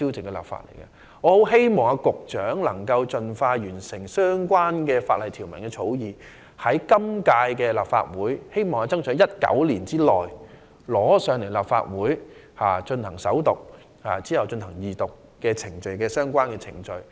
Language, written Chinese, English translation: Cantonese, 我很希望局長能夠盡快完成相關法例條文的草擬，爭取在本屆立法會任期內——在2019年內——提交立法會首讀，然後進行相關的二讀程序。, I strongly hope that the Secretary can complete the drafting of the relevant statutory provisions as soon as possible and strive to present its proposal to this Council for First Reading within the present term of the Legislative Council―within 2019―and then for Second Reading